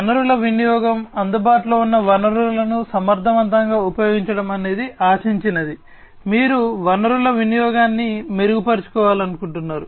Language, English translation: Telugu, Resource utilization, efficient utilization of available resources that is what is expected, you want to improve upon the resource utilization